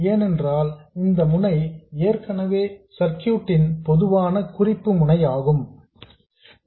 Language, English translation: Tamil, And ground here means whatever is the common reference node of the circuit